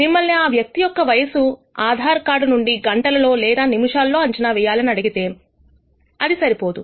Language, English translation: Telugu, Of course, if you are asked to predict the age of the person to a hour or a minute the date of birth from an Aadhaar card is insufficient